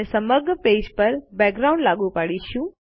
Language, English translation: Gujarati, We just apply a background to the whole page